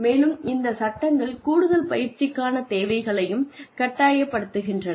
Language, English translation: Tamil, And, these laws, then mandates the need, for more training